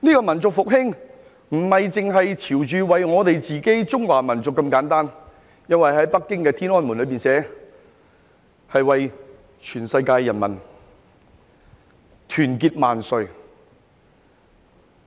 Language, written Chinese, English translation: Cantonese, 民族復興不只是為了我們中華民族這麼簡單，因為北京天安門寫着：世界人民大團結萬歲。, The rejuvenation of our nation is not pursued merely for the Chinese nation because a slogan at the Tiananmen Square in Beijing reads Long live the great unity of the people of the world